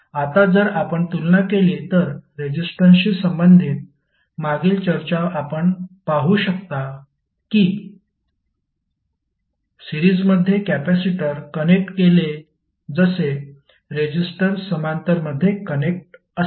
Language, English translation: Marathi, Now if you compare with the, the previous discussion related to resistance you can observe that capacitors in series combine in the same manner as you see resistance in the parallel